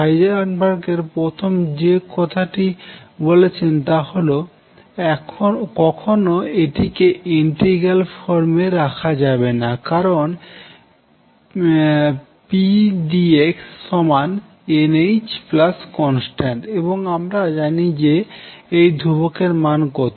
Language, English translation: Bengali, The first thing Heisenberg said; do not keep this in integral form why because this pdx could be n h plus some constant and we do not know this constant